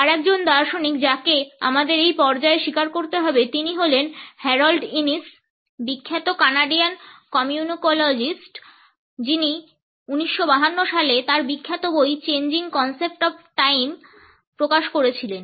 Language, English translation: Bengali, Another philosopher whom we have to acknowledge at this stage is Harold Innis, the famous Canadian communicologist who published his famous book Changing Concepts of Time in 1952